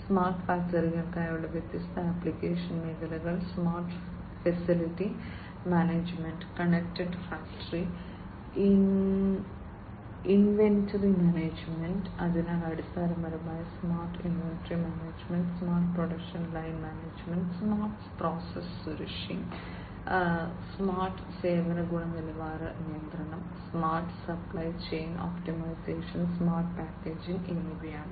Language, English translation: Malayalam, And the different application areas for the smart factories are smart facility management, connected factory, inventory management, so basically smart inventory management, smart production line management, smart process safety and security, smart service quality control, smart supply chain optimization, and smart packaging and management